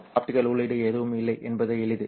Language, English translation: Tamil, It is simply that there has been no optical input here